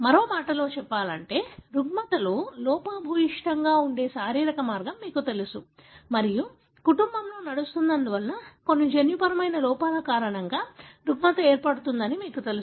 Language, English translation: Telugu, So, in other words, you know a physiological pathway that is defective in a disorder and you know that disorder is caused by some genetic defect, because it runs in the family